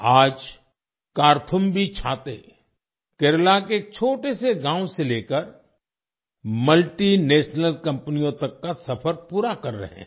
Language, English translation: Hindi, Today Karthumbi umbrellas have completed their journey from a small village in Kerala to multinational companies